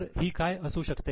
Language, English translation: Marathi, So what it can be